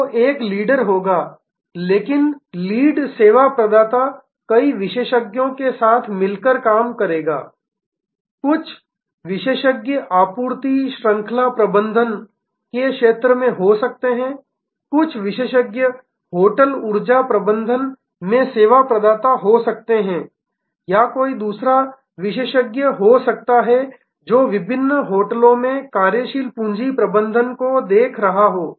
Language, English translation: Hindi, So, there will be a leader, but that lead service provider will be working together with number of experts may be some experts in the area of supply chain management may be some expert service provider in the of hotel energy management or it could be another expert, who is looking at the working capital management at different hotels